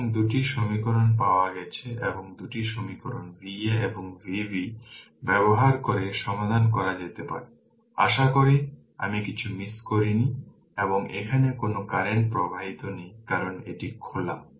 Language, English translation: Bengali, So, 2 equations we got and you can solve using 2 equation V a and V b; hope I have not missed anything and there is no current flowing here because this is open